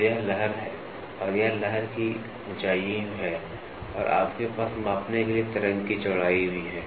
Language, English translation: Hindi, So, this is the wave and this is the wave height and you also have wave width to be measured